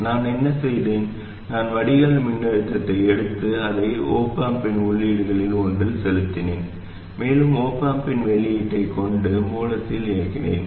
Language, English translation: Tamil, What I did was I took the drain voltage fed it to one of the inputs of the op amp and drive the source with the output of the op amp